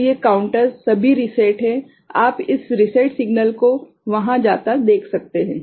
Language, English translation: Hindi, So, these counters are all reset; you can see this reset signal going there ok